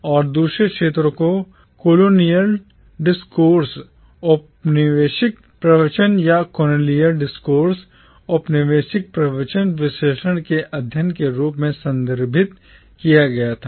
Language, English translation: Hindi, And the other area was referred to as the study of “colonial discourse” or “colonial discourse analysis”